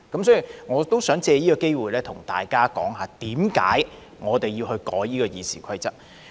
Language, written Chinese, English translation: Cantonese, 所以，我想藉此機會對大家說我們修改《議事規則》的原因。, So I wish to take this opportunity to tell Members about the reason for our amendments to the Rules of Procedure